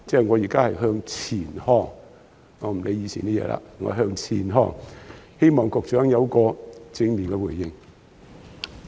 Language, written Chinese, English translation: Cantonese, 我現在是向前看，不理以往的事情了，希望局長會有正面回應。, Now what I am concerned about is the way forward rather than what happened in the past . I hope the Secretary will provide a positive response